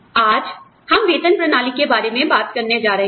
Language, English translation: Hindi, Today, we are going to talk about, the pay system